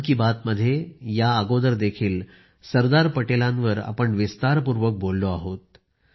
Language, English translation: Marathi, Earlier too, we have talked in detail on Sardar Patel in Mann Ki Baat